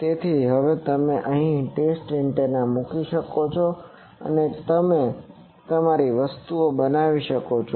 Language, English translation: Gujarati, So now you can put the test antenna it is here and you can make your things